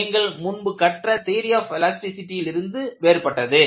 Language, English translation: Tamil, In theory of elasticity course, what you learned